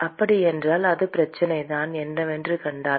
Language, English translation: Tamil, So, that is the same problem, if you find what is the